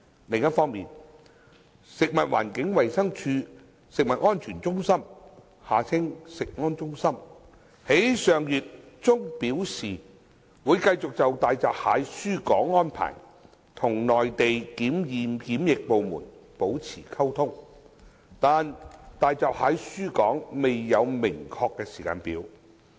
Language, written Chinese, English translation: Cantonese, 另一方面，食物環境衞生署食物安全中心於上月中表示，會繼續就大閘蟹輸港安排與內地檢驗檢疫部門保持溝通，但大閘蟹輸港未有明確時間表。, On the other hand the Centre for Food Safety CFS of FEHD indicated in the middle of last month that it would continue to communicate with the Mainland inspection and quarantine authorities on the arrangement for exporting hairy crabs to Hong Kong but there was no concrete timetable for exporting hairy crabs to Hong Kong